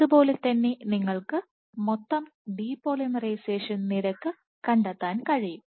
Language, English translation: Malayalam, Similarly, you can find net depolymerization rate